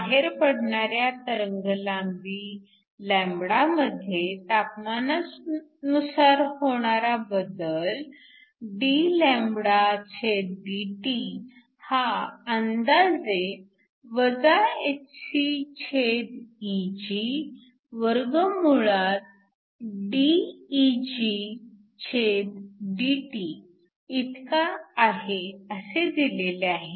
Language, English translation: Marathi, So, the change in wavelength with respect to temperature is approximately given to be hcEgdEgdT